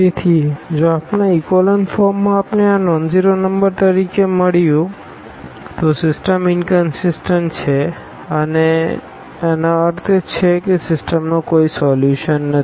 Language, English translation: Gujarati, So, if in our echelon form we got these as nonzero number, then the system is inconsistent and meaning that the system has no solution